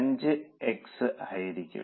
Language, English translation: Malayalam, 5x is equal to 15